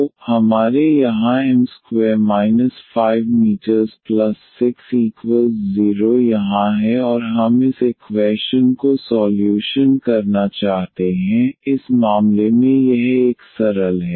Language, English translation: Hindi, So, we have here m square we have minus 5 m then we have plus 6 here and we want to solve this equation which in this case it is it is a simple one